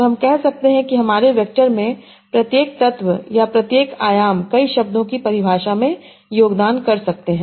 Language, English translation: Hindi, And yeah, so we can say that each element in my vector or each dimension might contribute to the definition of multiple words